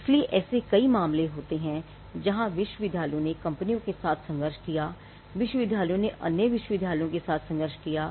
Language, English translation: Hindi, So, there are in various cases where universities have fought with companies, universities have fought with other universities